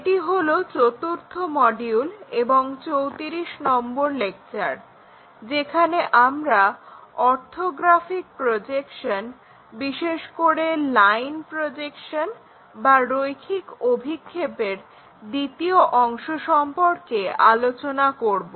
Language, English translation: Bengali, We are covering module 4, lecture number 34, where we are covering Orthographic Projections Part II and especially the line projections